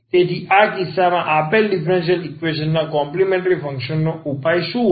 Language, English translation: Gujarati, So, in this case what will be the solution the complementary function of the given differential equation